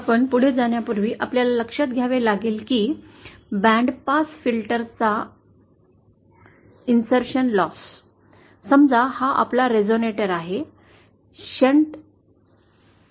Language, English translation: Marathi, Before we go, we have to note that the insertion loss of a band pass filter, suppose this is our resonator, a shunt resonator in shunt